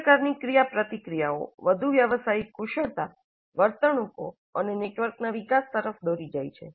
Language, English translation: Gujarati, All these kinds of interactions, they lead to the development of further professional skills, behaviors and networks